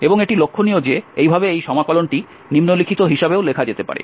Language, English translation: Bengali, And just to be noted that thus this integral can also be written as